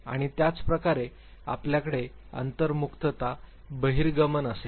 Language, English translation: Marathi, And similarly you will have introversion, extraversion